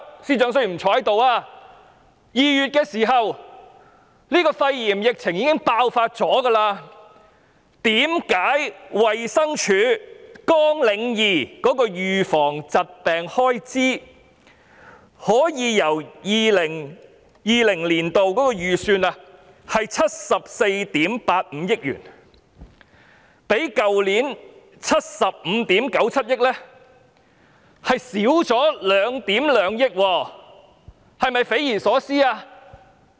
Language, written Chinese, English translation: Cantonese, 然而，肺炎疫情在2月已經爆發，為何衞生署綱領2的預防疾病開支，即 2020-2021 年度預算的74億 8,500 萬元，可以較去年度的75億 9,700 萬元還少了1億 1,200 萬元，這是否匪夷所思？, Nevertheless given that the pneumonia pandemic already broke out in February why is it possible that the estimate of expenditure under Programme 2 Disease Prevention of the Department of Health DH for 2020 - 2021 is 112 million less than last years figure ? . Is it beyond imagination?